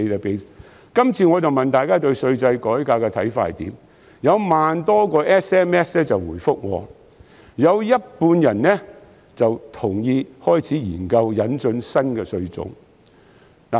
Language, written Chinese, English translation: Cantonese, 這次是問大家對稅制改革的看法，結果有1萬多個 SMS 回覆，有半數人同意開始研究引進新的稅種。, This time I asked about peoples views on tax reform . I received more than 10 000 responses via SMS and half of the respondents agreed to start exploring the introduction of new taxes